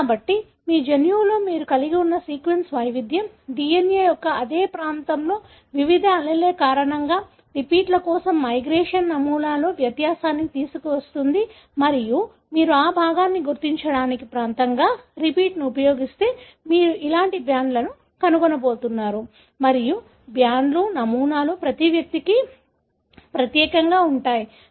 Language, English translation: Telugu, So, it is the sequence variation that you have in your genome, because of various alleles of the same region of the DNA that brings about difference in the migration pattern for the repeats and if you use a repeat as the region to detect the fragment, you are going to find bands like this and the bands are, patterns are unique to each individual